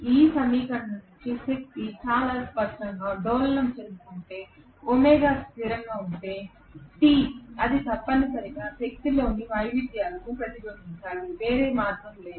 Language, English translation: Telugu, If the power is oscillating very clearly from this equation if omega is a constant Te has to necessarily reflect the variations in the power, there is no other option